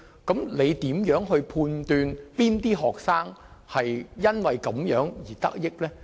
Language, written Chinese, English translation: Cantonese, 請問如何判斷哪些學生因這樣的行為而得益？, What is to be done to determine which students can actually benefit from the leak?